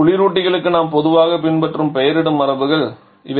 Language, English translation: Tamil, So, these are the naming conventions that we commonly follow for refrigerants